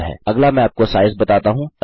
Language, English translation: Hindi, The next one Ill show you is the size